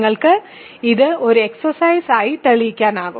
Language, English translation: Malayalam, You can prove this as an exercise